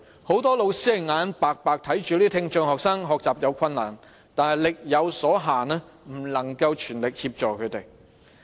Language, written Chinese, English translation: Cantonese, 很多老師眼看着這些聽障學生學習有困難，但礙於力有所限，不能全力協助他們。, Many teachers could see that these students with hearing impairment were having difficulties in learning but due to capacity constraints they were unable to offer full assistance to them